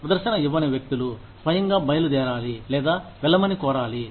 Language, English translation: Telugu, People, who were not performing, should either leave on their own, or be, asked to leave